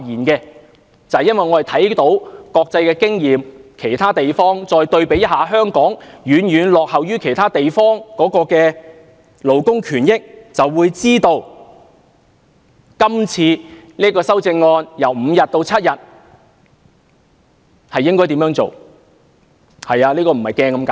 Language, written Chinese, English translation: Cantonese, 因為，我們看到國際經驗，知道香港的勞工權益對比起其他地方遠遠落後，就會明白面對今次由5天增加至7天的修正案時應該怎辦。, If we draw reference from international experience we would know that Hong Kong lags far behind in respect of labour rights and interests and hence we should know how to face the amendments on increasing paternity leave from five days to seven days